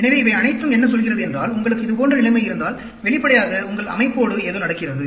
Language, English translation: Tamil, So, all these mean, if you have such a situation, obviously, there is something going, happening with your system